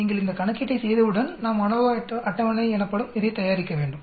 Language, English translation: Tamil, Once you do this calculation we need to prepare this something called ANOVA table